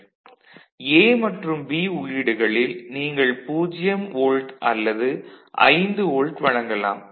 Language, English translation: Tamil, So, A and B at the input either you present a 0 volt or 5 volt ok